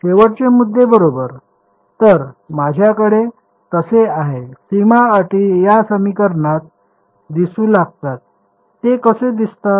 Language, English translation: Marathi, The endpoints right; so, I have so, the boundary conditions appear in this equation how do they appear